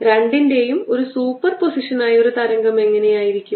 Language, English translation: Malayalam, what about a wave which is a superposition to